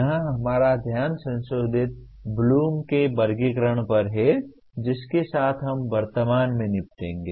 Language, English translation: Hindi, Our focus here is on Revised Bloom’s Taxonomy which we will presently deal with